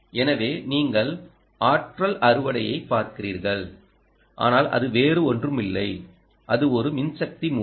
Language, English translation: Tamil, so you are looking at energy harvester, which is nothing but in electrical power source